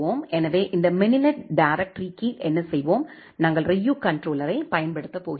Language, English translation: Tamil, So, what will do under this mininet directory, we have we are going to use the Ryu controller